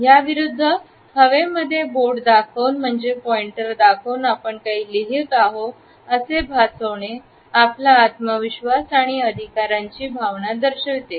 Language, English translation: Marathi, On the other hand, using your finger as a pointer in the air, as if you are writing something in the air, indicates a sense of confidence and authority